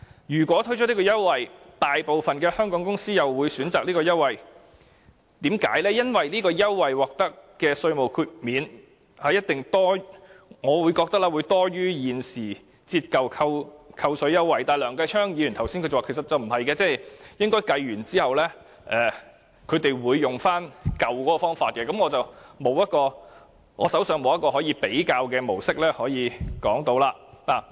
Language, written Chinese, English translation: Cantonese, 如果推出優惠，相信大部分香港公司也會選擇它，就是由於這個優惠獲得的稅務寬免，我認為一定會多於現時的折舊扣稅優惠，但梁繼昌議員剛才又說其實不是的，並指它們在計算後應該會使用舊方法，但我手上便沒有一個可以比較的模式作分析。, If new concessions are introduced I believe most Hong Kong companies will opt the new arrangement because the tax concessions will give them greater tax depreciation allowances than the existing ones . However just now Mr Kenneth LEUNG said this would not be the case and he pointed out that enterprises would opt the old way after doing some computations . Nevertheless I do not have a model for comparison at hand